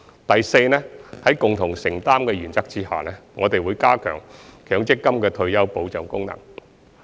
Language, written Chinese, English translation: Cantonese, 第四，在共同承擔的原則下，我們會加強強積金的退休保障功能。, Fourthly under the principle of shared responsibility we will strengthen the retirement protection functions of the Mandatory Provident Fund system